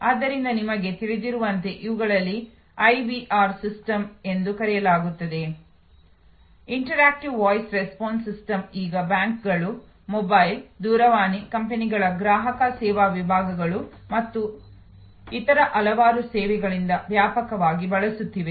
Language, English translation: Kannada, So, these are called IVR system as you know for example, Interactive Voice Response system widely use now by banks, by customer service departments of mobile, telephone companies or and various other services